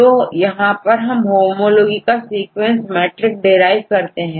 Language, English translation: Hindi, So, they use various levels of a sequence of homology to derive the matrix